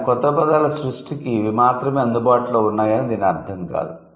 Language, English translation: Telugu, That doesn't mean that these are the only ways available for the creation of new words